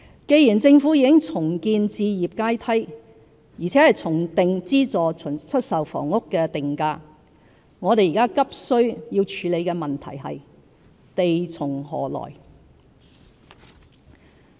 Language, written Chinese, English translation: Cantonese, 既然政府已重建置業階梯，並重定資助出售房屋定價，我們現在急需處理的問題是"地從何來"。, Now that the Government has rebuilt the housing ladder and adjusted the pricing mechanism of SSFs the issue we now need to urgently deal with is where to get land